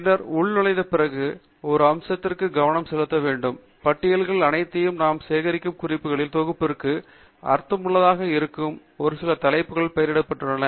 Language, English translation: Tamil, And then, after logging in, we must also pay attention to one aspect the lists are all named with some heading which we can pick to be meaningful for the set of references that we collect